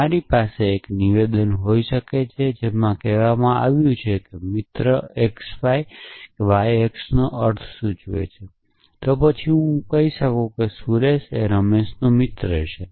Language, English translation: Gujarati, So, you could have a statement which says friend x y implies friend y x essentially, then I could say Suresh is the friend of Ramesh